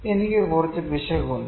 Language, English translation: Malayalam, I have some error